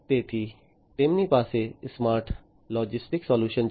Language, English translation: Gujarati, So, they have the smart logistics solutions